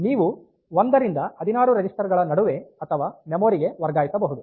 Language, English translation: Kannada, So, you can transfer between 1 to 16 registers to or from memory